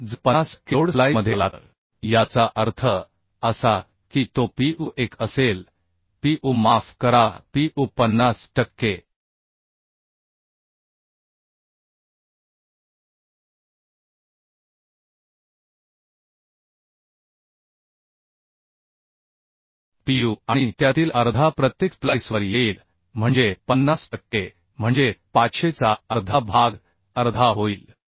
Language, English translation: Marathi, So if 50 per cent of the load comes into splice that means it will be the Pu1 will be Pu sorry Pu 50 per cent of Pu and half of that will come to each splice that means 50 per cent means half of 500 into half